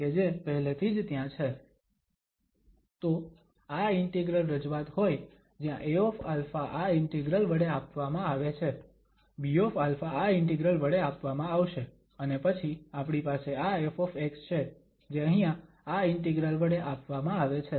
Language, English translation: Gujarati, So, having this integral representation where this a alpha is given by this integral, b alpha will be given by this integral and then we have this f x which is given by this integral here